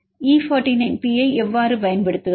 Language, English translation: Tamil, How would use E49P